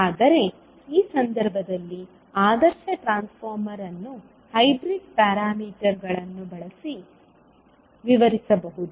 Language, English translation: Kannada, But in this case the ideal transformer can be described using hybrid parameters